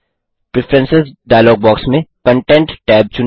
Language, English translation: Hindi, In the Preferences dialog box, choose the Content tab